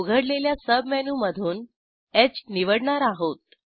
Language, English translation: Marathi, A submenu opens in which we will select H